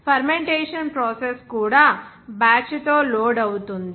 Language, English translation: Telugu, Even the Fermentation process a loaded with batch